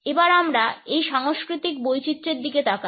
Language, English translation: Bengali, Let us look at these cultural variations